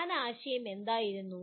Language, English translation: Malayalam, What was the main idea …